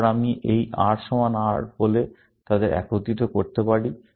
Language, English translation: Bengali, Then, I can combine them by saying this R equal to R